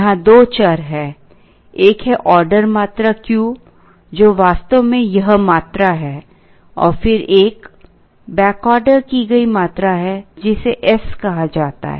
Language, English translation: Hindi, Here, there are two variables, one is the order quantity Q which is actually this quantity and then there is a back ordered quantity which is called s